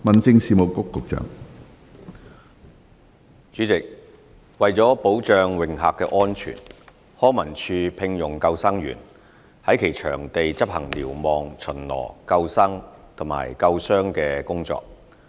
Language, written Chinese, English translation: Cantonese, 主席，為保障泳客安全，康文署聘用救生員在其場地執行瞭望、巡邏、救生和救傷等工作。, President to protect the safety of swimmers the Leisure and Cultural Services Department LCSD employs lifeguards to perform lookout patrol lifesaving and first aid duties etc . at its venues